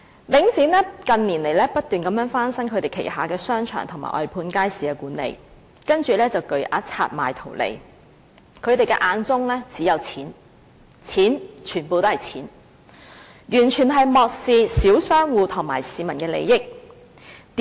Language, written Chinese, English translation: Cantonese, 領展近年不斷翻新旗下的商場和外判街市管理，然後便以巨額拆售圖利，他們眼中只有金錢，完全是金錢，完全漠視小商戶和市民的利益。, In recent years Link REIT continually renovated the shopping malls under its management and outsourced the management of its markets . Then it would divest them in return for large sums of money and make profits . All that it cares about is money and nothing but money so the interests of small shop operators and the public are totally disregarded